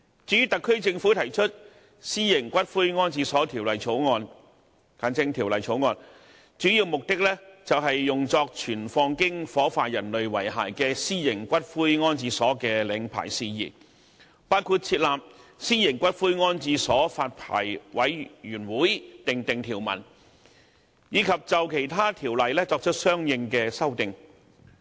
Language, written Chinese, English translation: Cantonese, 至於特區政府提出《私營骨灰安置所條例草案》的主要目的，是用作存放經火化人類遺骸的私營骨灰安置所的領牌事宜，包括就設立私營骨灰安置所發牌委員會訂定條文，以及就其他條例作出相應的修訂。, The main purpose of the Private Columbaria Bill the Bill tabled by the SAR Government is to provide for the licensing of private columbaria for keeping ashes resulting from the cremation of human remains including the establishment of the Private Columbaria Licensing Board ; and provide for consequential amendments to other Ordinances